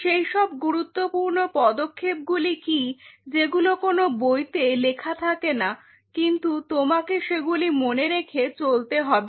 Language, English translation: Bengali, What are those critical steps which will not be really written in a book, but you kind of have to keep in mind how to move